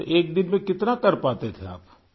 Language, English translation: Urdu, So, in a day, how much could you manage